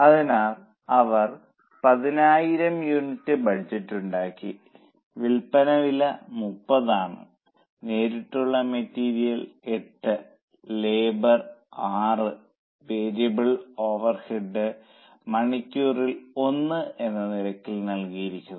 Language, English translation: Malayalam, So, they have made a budget of 10,000 units, sale price is 30, direct material 8, labour 6 and variable over rates 1 per hour rates are also given